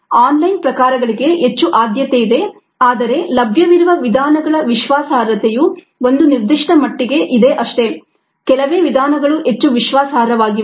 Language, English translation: Kannada, online, a preferred, but ah, the reliability of the methods available are, to a certain extent, very few methods are highly reliable